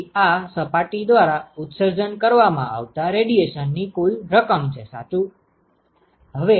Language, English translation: Gujarati, So, that is the total amount of radiation that is emitted by this surface correct